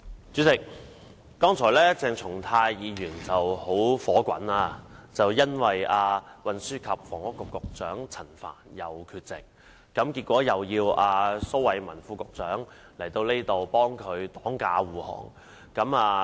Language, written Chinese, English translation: Cantonese, 主席，剛才鄭松泰議員很憤怒，因為運輸及房屋局局長陳帆又缺席，結果又要蘇偉文副局長來立法會為他擋駕護航。, President Dr CHENG Chung - tai was furious just now because Secretary for Transport and Housing Frank CHAN is once again absent and therefore Under Secretary Dr Raymond SO has to come to the Legislative Council to shield and defend him again